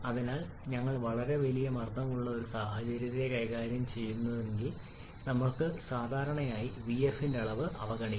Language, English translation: Malayalam, So unless we are dealing with a very high pressure situation we generally can neglect the volume of vf yes